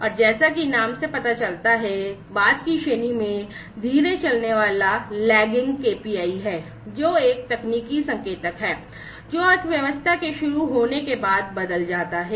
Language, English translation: Hindi, And as the name suggests the latter category is the lagging KPI, which is a technical indicator, which changes after the economy has started, which has, you know, it has in initiated